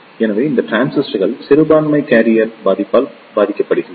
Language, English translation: Tamil, So, these transistor suffers from the minority carrier affect